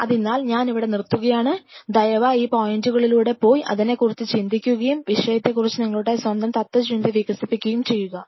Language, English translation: Malayalam, So, I will close in here please go through the points and think over it ponder upon it and develop your own philosophy about the subject